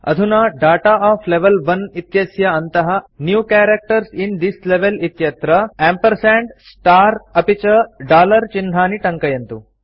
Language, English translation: Sanskrit, Now, under Data of Level 1, in the New Characters in this Level field, enter the symbols ampersand, star, and dollar